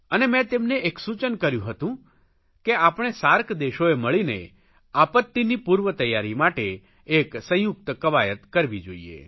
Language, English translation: Gujarati, I suggested that the SAARC nations should come together for a joint exercise on disaster preparedness